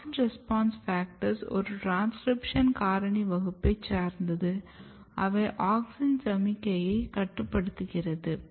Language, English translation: Tamil, So, AUXIN RESPONSE FACTOR are class of transcription factor which basically regulates the process downstream of auxin signaling